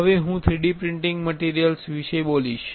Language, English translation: Gujarati, Now, I will be speaking about 3D printing materials